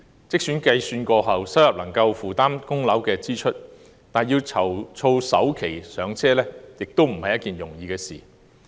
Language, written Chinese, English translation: Cantonese, 即使經過計算後，他們的收入能夠負擔供樓支出，要籌措首期"上車"亦非易事。, Even if their income can afford mortgage payment after calculations financing the down payment for their first home is not easy either